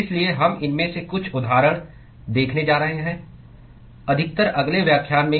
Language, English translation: Hindi, So, we are going to see some examples of these, mostly in the next lecture